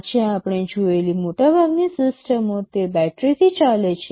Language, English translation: Gujarati, Most of the systems we see today, they run on battery